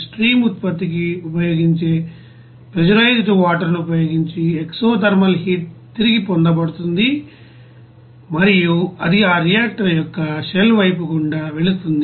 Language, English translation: Telugu, The exothermal heat is there recovered by the pressurized water which is used for stream production and it is passed through the shell side of that reactor